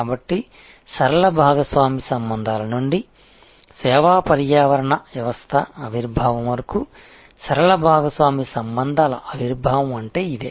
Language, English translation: Telugu, So, this is what we mean by emergence of linear partner relationships, from linear partner relationships to emergence of service ecosystem